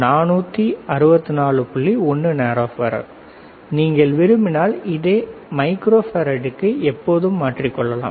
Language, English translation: Tamil, 1 nano farad, you can always convert 2 microfarad if you want it is very easy